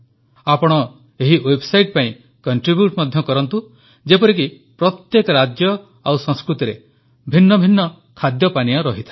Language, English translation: Odia, You can also contribute to this website, for example every state and its culture has different kinds of cuisines